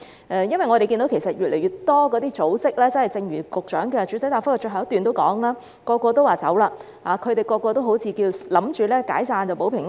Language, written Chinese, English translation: Cantonese, 因為我們看到越來越多組織——正如局長的主體答覆最後一段提到——人人都說走，他們人人都好像以為解散組織就可以保平安。, The reason is that we have noticed an increasing number of organizations―as mentioned in the last paragraph of the Secretarys main reply―the people are all saying that they will leave and all of them seem to think that disbandment of the organizations will keep them safe